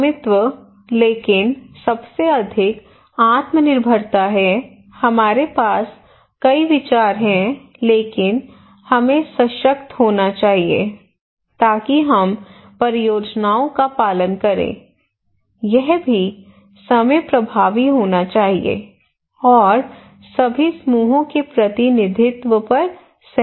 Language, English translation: Hindi, Ownership; but most is the self reliance we have many ideas but we cannot pursue so we should be empowered so that we can follow our own projects, it should be also time effective and representation of all groups is agreed